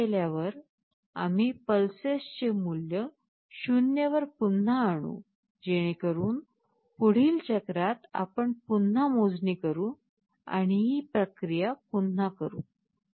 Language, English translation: Marathi, And after we do this we reinitialize the value of pulses to 0 so that in the next cycle we again carryout with the counting and we repeat this process